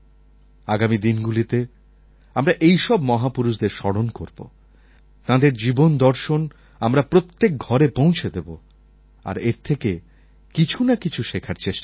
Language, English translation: Bengali, We must all try to remember these great personalities in the coming days, take their message to every house and we should try to learn something from them ourselves